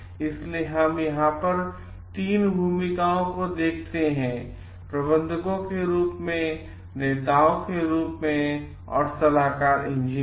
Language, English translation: Hindi, So, we have seen here 3 roles as managers, as leaders and this consultant engineers